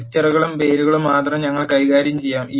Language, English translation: Malayalam, We will deal with only vectors and names dot argument